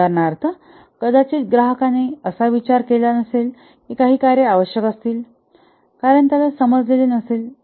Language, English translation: Marathi, For example, the customer may not be, may not have thought that some functionalities will be required because he did not understand or did not think